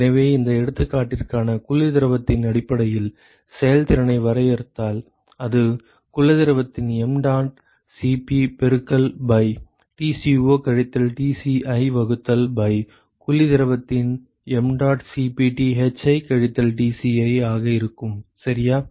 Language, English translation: Tamil, So, if I define efficiency in terms of the cold fluid for this example, so, it will be mdot Cp of cold fluid multiplied by Tco minus Tci divided by mdot Cp of cold fluid Thi minus Tci, ok